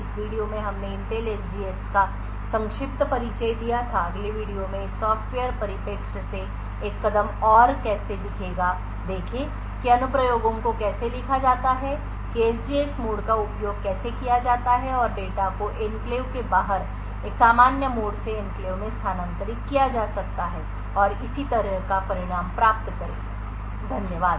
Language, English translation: Hindi, In this video we had a brief introduction to Intel SGX in the next video will look at how a move from a software perspective and see how applications are written how the SGX mode is used and how data can be transferred from a normal mode outside the enclave into the enclave and get the result and so on, thank you